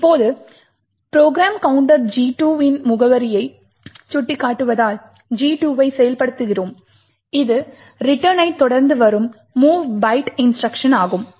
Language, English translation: Tamil, Now since the program counter is pointing to the address of G2 we have gadget 2 getting executed which is the mov byte instruction followed by the return